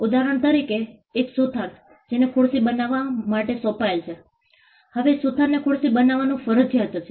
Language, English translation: Gujarati, For instance, a carpenter who is assigned to make a chair; Now, the carpenter is mandated to make a chair